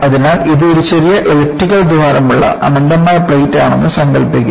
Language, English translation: Malayalam, So, imagine that this is an infinite plate with a small elliptical hole